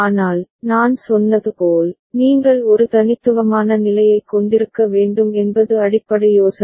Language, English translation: Tamil, But, as I said, the basic idea is you need to have a unique state